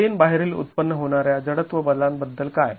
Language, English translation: Marathi, What about the inertial force that is generated by the out of plane wall